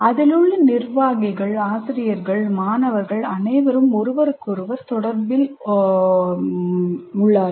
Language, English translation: Tamil, And then the people in that, the administrators, the faculty, the students all interact with each other